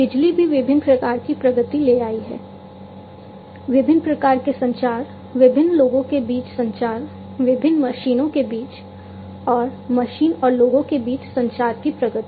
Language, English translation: Hindi, Electricity, likewise, also bring brought in lot of different types of advancements; advancements in terms of different types of communications, communication between different people communication, between different machines, and between machine and people